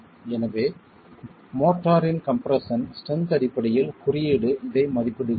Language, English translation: Tamil, So the code is estimating this in terms of the compressive strength of the mortar